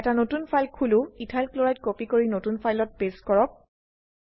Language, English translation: Assamese, Open a new file, copy Ethyl Chloride and paste it into new file